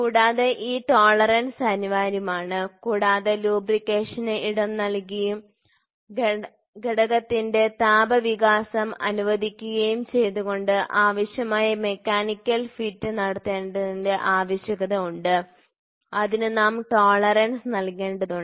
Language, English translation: Malayalam, Further, these tolerance are inevitable because the necessity of obtaining the required mechanical fit providing space for lubricant and allowing thermal expansion of the component we need to give the tolerance